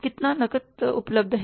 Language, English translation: Hindi, How much cash is available